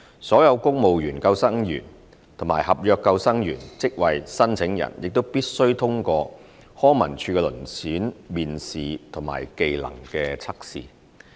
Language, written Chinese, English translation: Cantonese, 所有公務員救生員及合約救生員職位申請人亦必須通過康文署的遴選面試和技能測試。, Applicants for the posts of civil service lifeguard and NCSC seasonal lifeguard also have to pass the selection interview and trade test